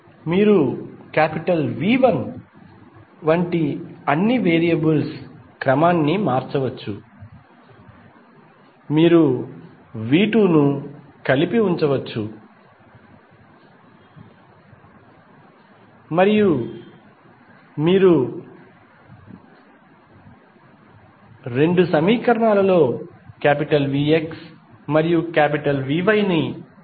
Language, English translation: Telugu, You can rearrange all the variables like V 1 you can put together V 2 you can take together and then V X and V Y in both of the equations